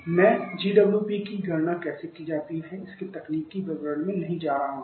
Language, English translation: Hindi, I am not going to the technical detail of how the GWP is calculated